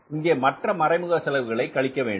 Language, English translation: Tamil, Then you subtract here the all indirect expenses, right